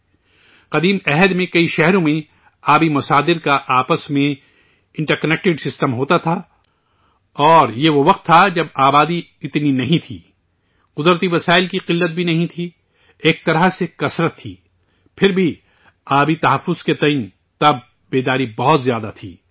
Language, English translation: Urdu, In ancient times, there was an interconnected system of water sources in many cities and this was the time, when the population was not that much, there was no shortage of natural resources, there was a kind of abundance, yet, about water conservation the awareness was very high then,